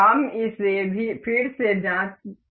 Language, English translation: Hindi, We can check it again